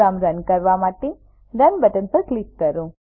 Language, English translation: Gujarati, Let me click on the Run button to run the program